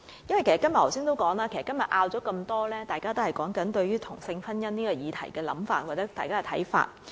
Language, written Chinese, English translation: Cantonese, 正如我剛才所說，今天的許多爭拗均源於大家對同性婚姻這項議題的想法或看法。, As I said earlier the many disputes today arise from the views or opinions of Members on the subject of same - sex marriage